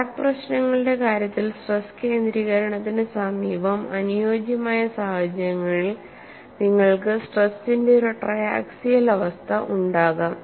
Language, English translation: Malayalam, So, in the case of crack problems near the vicinity of the stress concentration, you could have under suitable circumstances a triaxial state of stress